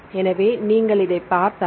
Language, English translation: Tamil, So, if you see this one